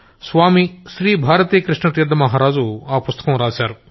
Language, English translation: Telugu, Swami Shri Bharatikrishna Tirtha Ji Maharaj had written that book